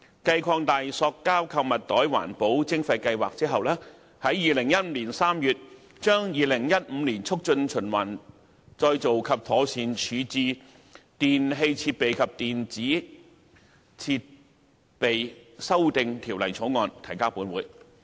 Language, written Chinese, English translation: Cantonese, 繼擴大塑膠購物袋環保徵費計劃後，當局於2015年3月將《2015年促進循環再造及妥善處置條例草案》提交本會。, Further to the extension of the Environmental Levy Scheme on Plastic Shopping Bags the authorities introduced to this Council the Promotion of Recycling and Proper Disposal Amendment Bill 2015 the Bill in March 2015